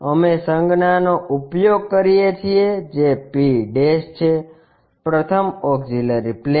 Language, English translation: Gujarati, We use a notation which is p', the first auxiliary plane